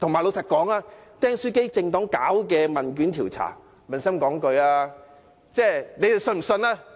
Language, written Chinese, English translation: Cantonese, 老實說，"釘書機政黨"進行的問卷調查，撫心自問，你們相信嗎？, If Members ask themselves honestly will they trust the results of the poll conducted by the political party relating to the stapler incident?